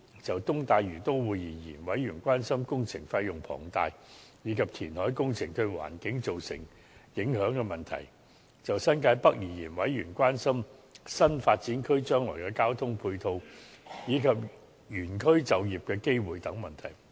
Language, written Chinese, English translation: Cantonese, 就"東大嶼都會"而言，委員關心工程費用龐大，以及填海工程對環境造成影響的問題；就新界北而言，委員關心新發展區將來的交通配套，以及原區就業機會等問題。, Regarding the East Lantau Metropolis members were concerned about the enormous cost of the works project and the environmental impacts of the reclamation works . Regarding the New Territories North area members expressed concerns among other on the transport support for the new development area and job opportunities in the district